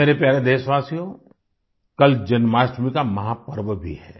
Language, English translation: Hindi, tomorrow also happens to be the grand festival of Janmashtmi